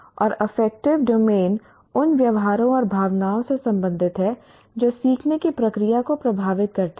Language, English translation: Hindi, And the affective domain relates to the attitudes and feelings that result from or influence the learning process